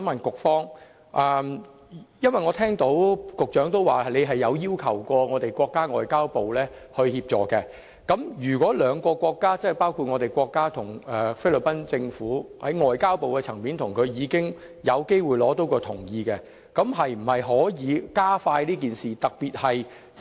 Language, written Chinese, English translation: Cantonese, 局長提到特區政府曾要求國家外交部協助，如果兩個國家，即國家與菲律賓在外交部的層面已同意有關安排，是否可以加快處理這個案？, The Secretary mentioned that the HKSAR Government had sought assistance from the State Ministry of Foreign Affairs . If the two countries concerned ie . our country and the Philippines have already given consent to the arrangements at the level of Ministry of Foreign Affairs will the process of the case be expedited?